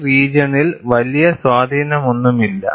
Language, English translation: Malayalam, There is no major influence in this zone